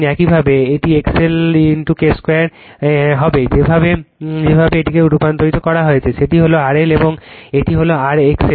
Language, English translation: Bengali, Similarly, it will be X L into K square the way you have transformed this, that is you R L dash and that will your X L dash